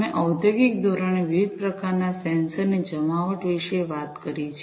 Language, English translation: Gujarati, We have talked about the deployment of different types of sensors, in industrial scale